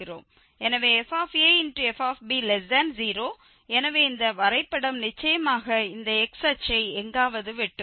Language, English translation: Tamil, So, fa and fb is negative so this graph will certainly cut this x axes somewhere